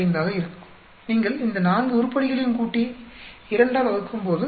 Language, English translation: Tamil, 45, when you add up all these 4 items divided by 2